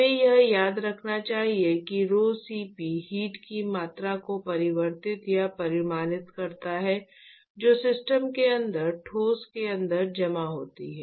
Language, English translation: Hindi, We should remember that rho*Cp reflects or quantifies the amount of heat that is stored inside the system right inside the solid